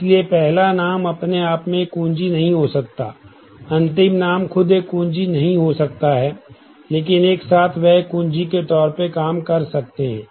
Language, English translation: Hindi, So, first name itself cannot be a key last name itself cannot be a key, but together